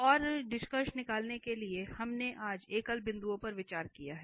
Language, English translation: Hindi, And just to conclude now, so we have discussed singular points today